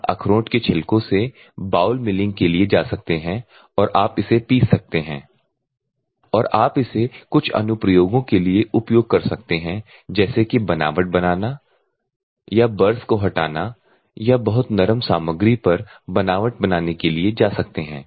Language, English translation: Hindi, So, you can go for bowl milling of this walnut shells or you can crush it and you can use it for some of the applications like texturing all or removing the burrs or texturing on very soft materials and other things you can go for this one